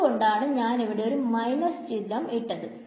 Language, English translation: Malayalam, So, that is why I have to put a minus sign over here ok